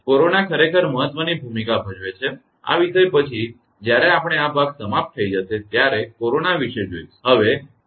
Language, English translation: Gujarati, Corona plays actually important role after this topic we will see the corona loss right when this part will be over